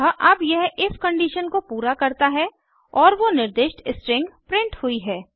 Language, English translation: Hindi, So, now it fulfills the if condition and the specified string is printed